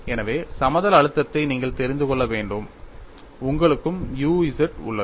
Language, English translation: Tamil, So, you have to know for the plane stress, you also have u z